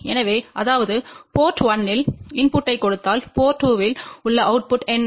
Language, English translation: Tamil, So that means, if we give a input at port 1 what is the output AD port 2